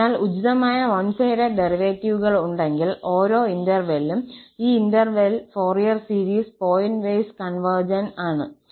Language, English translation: Malayalam, So, if appropriate one sided derivatives of f exist then, for each x in this interval, the Fourier series is pointwise convergent